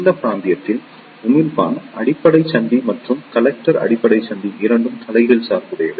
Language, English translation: Tamil, In this region, emitter base junction and collector base junction both are reverse bias